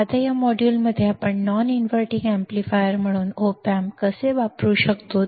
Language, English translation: Marathi, Now, in this module, let us see how we can use the op amp as a non inverting amplifier